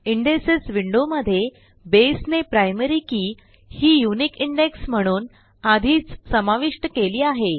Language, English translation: Marathi, In the Indexes window, notice that Base already has included the Primary Key as a unique Index